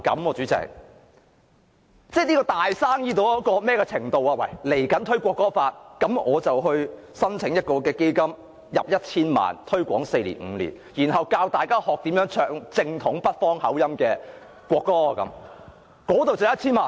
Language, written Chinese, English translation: Cantonese, 例如未來推廣《中華人民共和國國歌法》，我可否申請一個項目撥款 1,000 萬元，推廣四五年，教大家唱正統北方口音的國歌，這樣已可以申撥 1,000 萬元？, For instance if I promote the National Anthem Law of the Peoples Republic of China in the future can I apply for funding allocation of 10 million for a project that would last for four or five years to teach everyone to sing the national anthem in orthodox northern accent? . Can I apply for funding allocation of 10 million simply in this way?